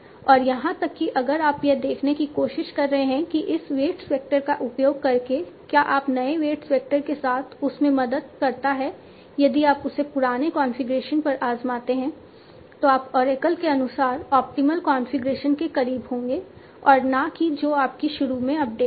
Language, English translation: Hindi, And even here try to see that by using this weight vector does that help in that now with the new weight vector if you try it on the old configuration you will actually attain the you will you will be closer to the optimal configuration as per the oracle and not what your classifier was earlier to date